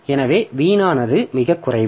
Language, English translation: Tamil, So, there is very little wastage